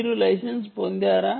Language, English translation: Telugu, this is licensed